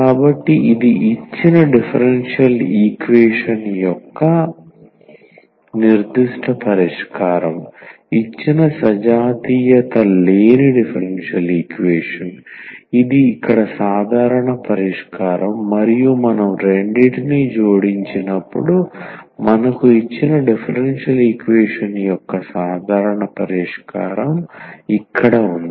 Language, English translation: Telugu, So, this is the particular solution of the given differential equation, the given non homogeneous differential equation, this is the general solution here and when we add the two, so we have this the general solution of the given differential equation